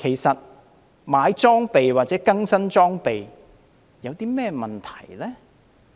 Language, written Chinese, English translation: Cantonese, 購買或更新裝備有甚麼問題呢？, What is wrong with purchasing or updating equipment?